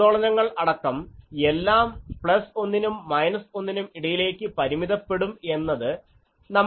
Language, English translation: Malayalam, We will you see that the oscillations also so, are all confined to plus 1 to minus 1